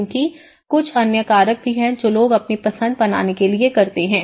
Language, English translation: Hindi, Because there are certain other factors also people tend to make their choices